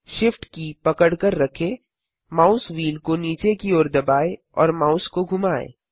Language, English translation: Hindi, Hold shift, press down the mouse wheel and move the mouse